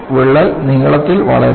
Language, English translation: Malayalam, The crack grows in length